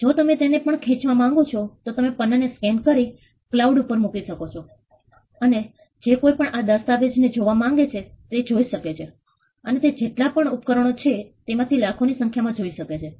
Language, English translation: Gujarati, If you even stretch it further, you could scan the page put it on cloud and anybody who has access to that document could see it and that could run into millions are as many devices you have you could to see that